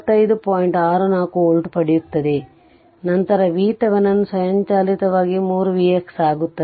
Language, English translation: Kannada, 64 volt, then V Thevenin automatically will become 3 V x if you look at the problem